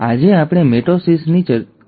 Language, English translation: Gujarati, Today, let us talk about mitosis